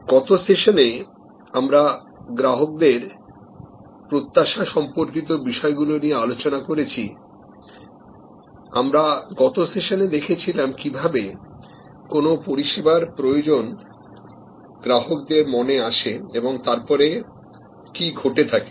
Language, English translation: Bengali, In the last session we discussed issues relating to customers expectation, in the last session we saw how the need of a service comes up in consumers mind and what happens there after